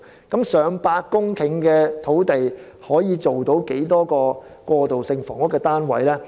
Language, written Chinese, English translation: Cantonese, 近100公頃的土地可以興建多少個過渡性房屋單位呢？, So how can these nearly 100 hectares of land translate into the number of transitional housing units?